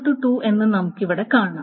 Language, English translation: Malayalam, And for n equal to 3, n is equal to 3